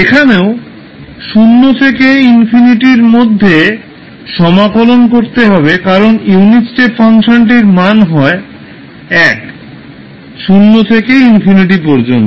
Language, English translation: Bengali, Here also we will integrate between 0 to infinity because the unit step function is 1 only from 0 to infinity